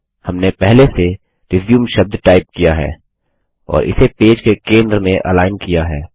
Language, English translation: Hindi, We had previously typed the word RESUME and aligned it to the center of the page